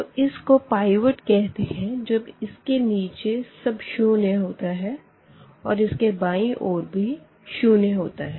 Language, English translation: Hindi, So, this number we will call pivot in this matrix when everything below this is 0 and also the left this is the first element